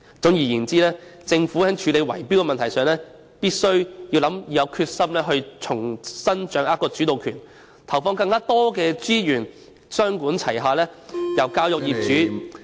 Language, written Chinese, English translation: Cantonese, 總而言之，政府在處理圍標的問題上，必須有決心重新掌握主導權，投放更多資源，雙管齊下，從教育業主......, All in all on tackling the bid - rigging issue the Government must be determined to resume a leading role and commit more resources to it under a two - pronged approach from educating property owners